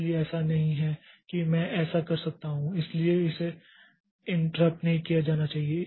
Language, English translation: Hindi, So, it is not that I can do it so it should not be interrupted in between